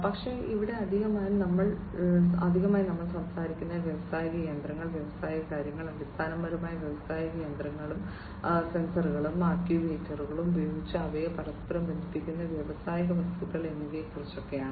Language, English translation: Malayalam, But, here additionally we are talking about consideration of industrial machinery, and industrial things, basically the industrial machinery, and industrial objects interconnecting them using sensors and actuators